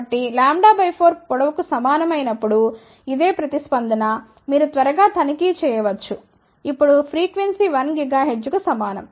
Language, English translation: Telugu, So, this is the response corresponding to when length is equal to a lambda by 4, you can quickly check now frequency is approximately equal to 1 gigahertz